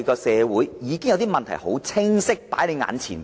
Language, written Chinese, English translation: Cantonese, 社會的問題已經清楚擺在眼前。, These social problems are in front of our eyes